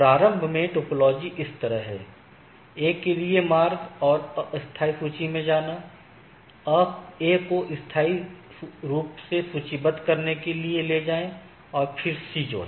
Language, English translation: Hindi, Initially, the topology is like that initially the say the route to A and move to tentative list; move A to permanently list and add C these